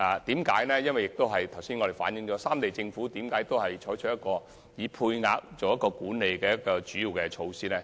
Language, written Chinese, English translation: Cantonese, 正如我剛才所說，為何三地政府均採取配額制作為主要的交通管理措施？, Why have the three Governments adopted the quota system as a major measure in traffic control?